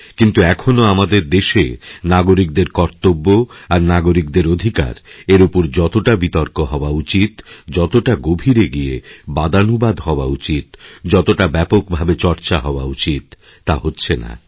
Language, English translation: Bengali, But still in our country, the duties and rights of citizens are not being debated and discussed as intensively and extensively as it should be done